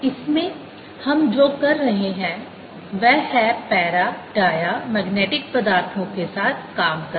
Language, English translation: Hindi, what we'll be doing in this is deal with para, slash, dia magnetic materials